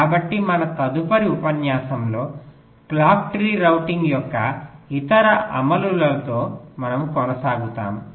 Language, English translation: Telugu, so we continue with other implementations of clock tree routing in our next lecture